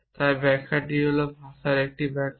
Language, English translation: Bengali, So the interpretation is an interpretation of language